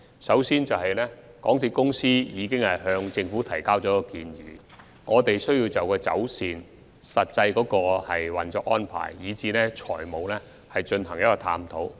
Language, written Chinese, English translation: Cantonese, 首先，港鐵公司已向政府提交建議，我們有需要就走線、實際運作安排以至財務方面進行探討。, First of all after MTRCL submitted its proposals to the Government we have to examine the alignment actual operation and financial arrangements